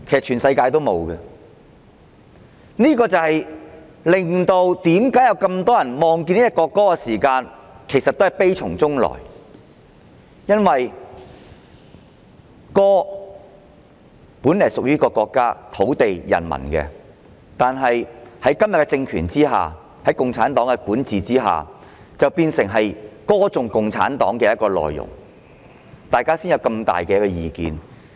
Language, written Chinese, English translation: Cantonese, 全世界也不會這樣，這正是為何很多人聽到國歌時也會悲從中來，因為這首歌本來屬於國家、土地和人民，但在今天的政權下，在共產黨的管治下，變成歌頌共產黨的歌曲，因此，大家才有這麼大的意見。, Such things will not happen anywhere else in the world . This is precisely the reason why many people cannot help feeling sad when listening to the national anthem . It is because this song originally belonged to the country to the land and to the people but under the present political regime and under the rule of CPC it became a song praising CPC